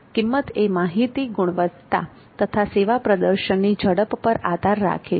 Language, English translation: Gujarati, The price depends on quality and quickness of the service performance